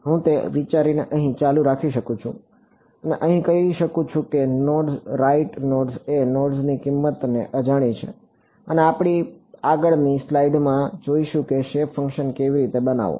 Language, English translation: Gujarati, I can continue that idea here and say nodes right nodes are the node values are unknowns and we will see in the next slide how to construct the shape functions